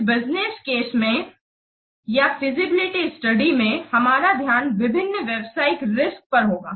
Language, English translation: Hindi, In this business case of the feasibility study, our focus will be on the different business risks